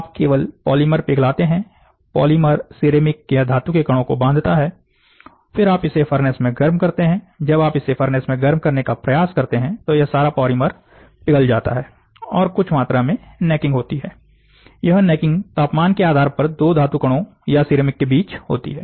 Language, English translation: Hindi, So, the polymer stitches or ties the ceramic or the metal particles and then what you do is, you take it your furnace heat it, when you try to furnace heat it all this polymer goes away, and some amount of necking happens, necking happens between the two particles metal, or ceramic depending upon the temperature